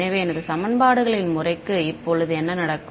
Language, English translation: Tamil, So, what happens to my system of equations now